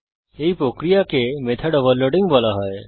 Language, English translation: Bengali, The process is called method overloading